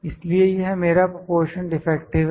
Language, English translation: Hindi, So, this is my proportion defective